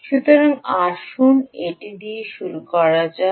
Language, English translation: Bengali, so let's start with that ah